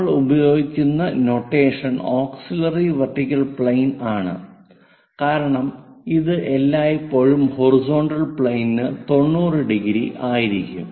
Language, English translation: Malayalam, The notation what we use is its auxiliary vertical plane because it is always be 90 degrees with the horizontal plane